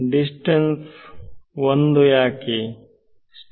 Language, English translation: Kannada, Distance why is it 1